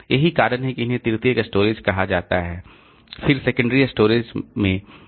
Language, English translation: Hindi, That's why they are called tertiary storage